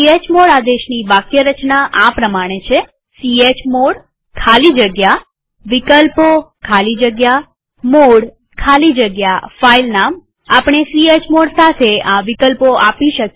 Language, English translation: Gujarati, Syntax of the chmod command is chmod space [options] space mode space filename space chmod space [options] space filename We may give the following options with chmod command